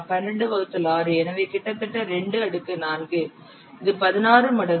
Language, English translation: Tamil, So, almost 2 to the per 4, that is 16 times